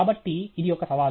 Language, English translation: Telugu, So, it’s a challenge okay